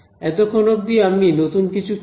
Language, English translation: Bengali, So, far I have not done anything new